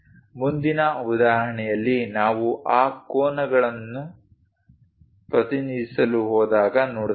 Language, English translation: Kannada, In the next example, we will see when we are going to represents those angles